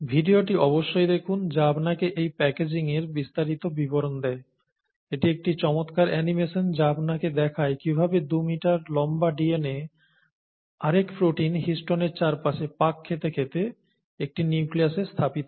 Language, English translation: Bengali, Please take a look at this video, DNA and chromatin, which gives you the details of this packaging, it is an animation which is a nice animation which shows you how the 2 meter long DNA gets packaged into a nucleus by coiling and super coiling around histones, another proteins, okay